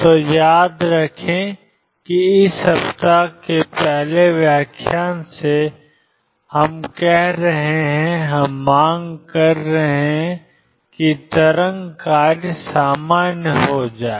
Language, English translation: Hindi, So, remember from the first lecture this week there are saying that we are going to demand that the wave function being normalize